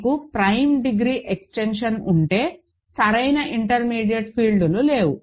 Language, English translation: Telugu, If you have an extension of prime degree there are no proper intermediate fields